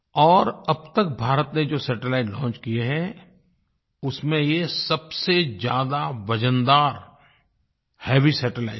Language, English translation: Hindi, And of all the satellites launched by India, this was the heaviest satellite